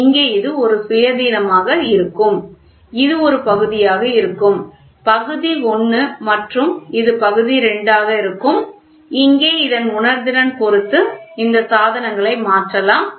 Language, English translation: Tamil, So, here this is a till this it will be an independent and this will be one part; part I and this will be part II and here depending upon this the sensitivity these devices can be changed